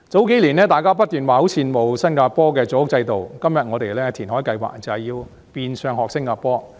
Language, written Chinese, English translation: Cantonese, 數年前，大家不斷說很羨慕新加坡的組屋制度，今天我們的填海計劃，就是學新加坡。, Several years ago Members kept saying how they were envious of the public housing system in Singapore . Our reclamation projects today are precisely modelled on Singapores example